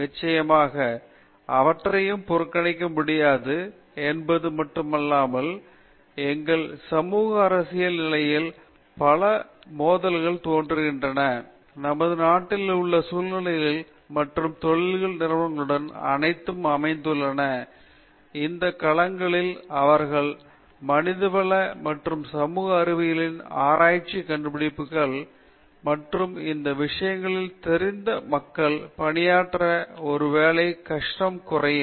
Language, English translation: Tamil, Definitely, not only the need it is time that they cannot ignore it any further and we see lot of conflicts emerging in our socio political condition, situations in this in our country with local issues and industry they are all located in these domains and if they apply the findings of research in humanities and social sciences and they have people equipped with these things then probably they will reduce such difficulties